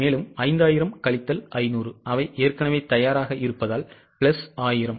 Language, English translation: Tamil, So, 5,000 minus 500 because they are already ready plus 1,000